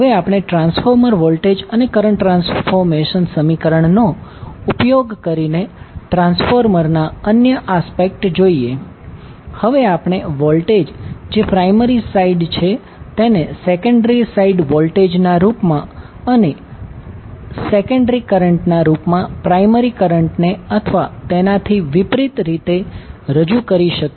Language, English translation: Gujarati, Now, let us see other aspects of the transformer using transformer voltage and current transformation equations, we can now represent voltage that is primary site voltage in terms of secondary site voltage and primary current in terms of secondary current or vice versa